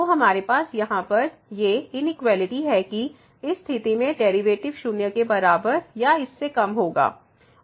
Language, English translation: Hindi, So, we have here this inequality that the derivative will be less than equal to in the situation